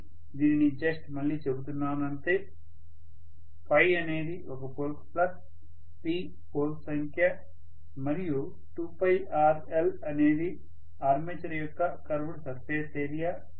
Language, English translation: Telugu, this we said already so I am just reiterating this, this is the flux per pole P is the number of poles and 2 pi rl is the curved surface area of the armature